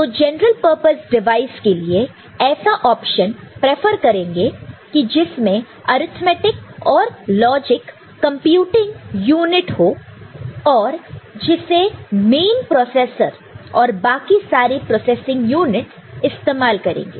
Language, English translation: Hindi, So, for such general purpose you know, device you would be preferring an option like having an arithmetic and logic computing unit and which will be used by the main processor or the other you know, processing units, ok